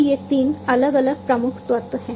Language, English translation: Hindi, So, these are the three different key elements